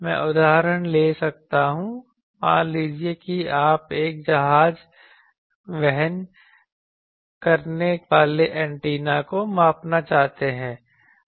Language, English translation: Hindi, I can take the example suppose you want to measure a ship borne antenna